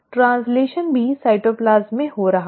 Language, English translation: Hindi, The translation is also happening in the cytoplasm